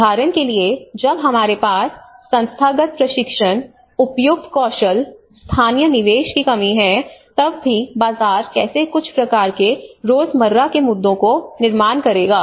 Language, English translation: Hindi, For example, when we have the institutional lack of institutional training, appropriate skills, local investments, even how the markets will also create some kind of everyday issues